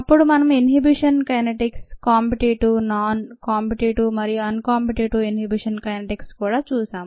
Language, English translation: Telugu, then we also looked at ah innovation kinetics: the competitive, non competitive and the uncompetitive innovation kinetics